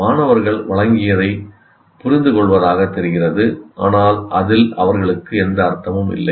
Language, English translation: Tamil, Students seem to be understanding what is presented, but it doesn't make any meaning to them